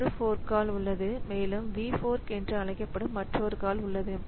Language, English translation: Tamil, So, there is a fork call and there is another call which is called V fork